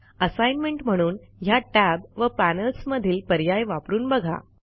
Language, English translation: Marathi, As an assignment, explore these tabs and the options, therein